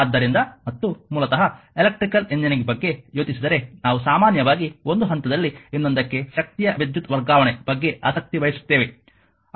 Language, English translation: Kannada, So, and basically if you think about electrical engineering we are often interested that actually electrical transfer in energy from one point to another